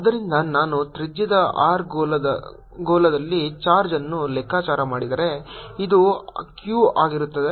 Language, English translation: Kannada, so if i calculate the charge in a sphere of radius r, this is going to be q, let's call it q